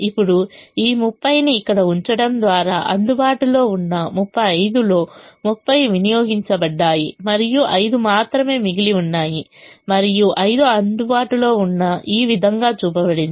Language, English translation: Telugu, now, by putting this thirty here, thirty out of the thirty five available has been consumed and only five is remaining, and that is shown this way, with five being available